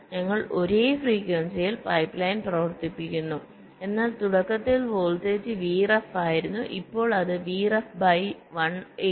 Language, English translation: Malayalam, we run the pipe line at the same frequency but the voltage, initially it was v ref, now it has become v ref by one point eight, three